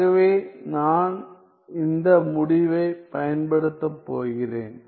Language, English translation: Tamil, So, I am going to use this result